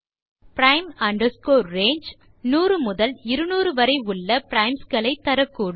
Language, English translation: Tamil, So prime range gives primes in the range 100 to 200